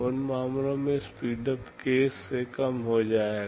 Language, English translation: Hindi, In those cases, the speedup will become less than k